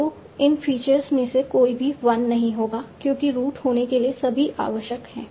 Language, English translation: Hindi, None of the, so none of the three features will be 1 because all required will be root